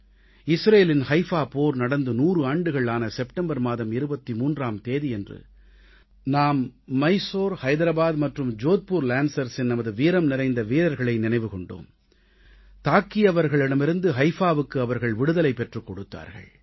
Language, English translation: Tamil, A few days ago, on the 23rd of September, on the occasion of the centenary of the Battle of Haifa in Israel, we remembered & paid tributes to our brave soldiers of Mysore, Hyderabad & Jodhpur Lancers who had freed Haifa from the clutches of oppressors